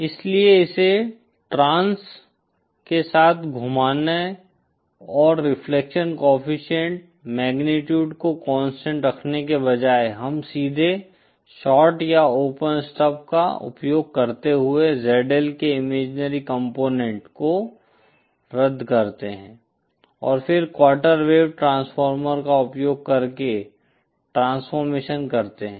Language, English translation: Hindi, So instead of rotating it along the along and keeping the reflection coefficient magnitude constant we directly cancel the imaginary component of ZL using a shorted or open stub and then do and then do the transformation using a quarter wave transformer